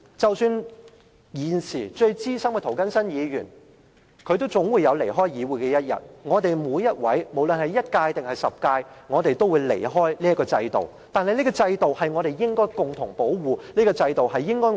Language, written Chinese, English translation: Cantonese, 即使現時最資深的議員涂謹申議員也總有離開議會的一天，我們每位議員，無論是擔任了一屆還是10屆的議員，始終有一天會離開這個制度。, Even Mr James TO the most senior Member in this Council will leave this Council one day . All Members of this Council regardless of whether they have served just one term or 10 terms will leave this institution one day